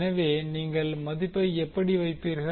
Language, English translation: Tamil, So, where you will put the value